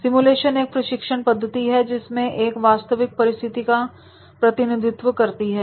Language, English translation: Hindi, A simulation is a training method that represents a real life situation is there